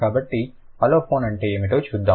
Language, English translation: Telugu, So, let's see what an aliphon is